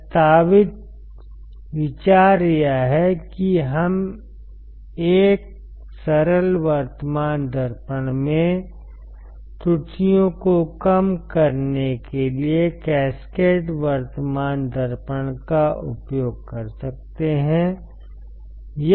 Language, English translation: Hindi, The proposed idea is that we can use we can use a cascaded current mirror, to reduce the errors in the simplest current mirror